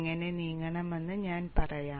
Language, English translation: Malayalam, I will tell you how to go about